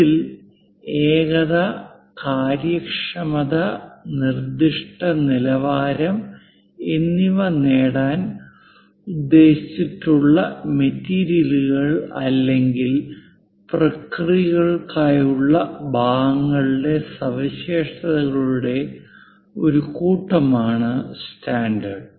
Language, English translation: Malayalam, In this a standard is a set of specification of parts for materials or processes intended to achieve uniformity, efficiency and specific quality